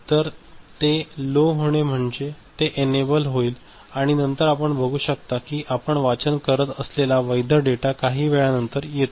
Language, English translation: Marathi, So, it is going low means it is enabled and then you see the valid data that we are reading it is coming after some point of time ok